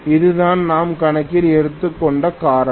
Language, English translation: Tamil, That is the reason we are taking into account